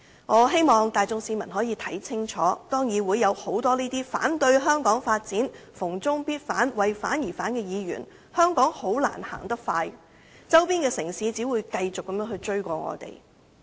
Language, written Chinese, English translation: Cantonese, 我希望市民看清楚，當議會有很多反對香港發展、逢中必反、為反而反的議員，香港很難走得快，周邊的城市只會繼續追過我們。, I hope members of the public will clearly see for themselves when many Legislative Council Members oppose the development of Hong Kong oppose China indiscriminately and oppose for the sake of opposing it is very difficult for Hong Kong to move ahead at a fast speed and we will be overtaken by the neighbouring cities